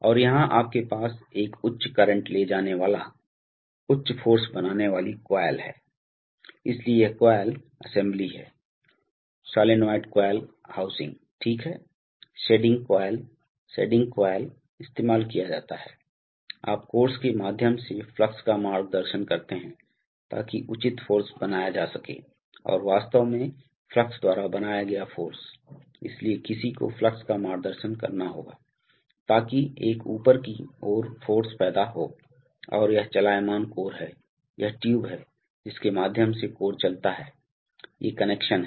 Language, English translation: Hindi, And here you have a high current carrying, high force creating coil, so this is the coil assembly, solenoid coil housing okay, shedding coil, shedding coil is used to, you know guide the flux through the course, so that the proper force is created and actually the force created by the flux, so one has to guide the flux, so that an upward force is created